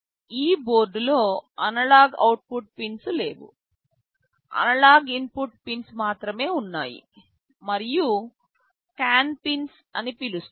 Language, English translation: Telugu, Of course in this board there are no analog output pins, only analog input pins are there and there is something called CAN pins